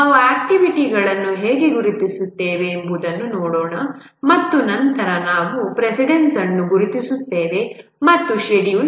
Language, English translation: Kannada, Let's look at how we do identify the activities and then we identify the precedents and schedule